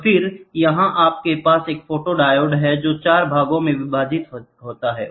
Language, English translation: Hindi, And then here you have a photodiode which is divided into 4 parts